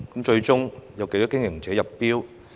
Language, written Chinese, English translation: Cantonese, 最終有多少經營者入標呢？, How many operators have submitted their bids in the end?